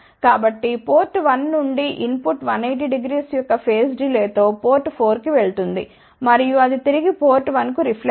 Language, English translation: Telugu, So, input from 1 goes to port 4 with the phase delay of a 180 degree and then it reflects back to this port 1